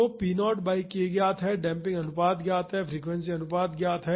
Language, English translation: Hindi, So, p naught by k is known, damping ratio is known frequency ratio is known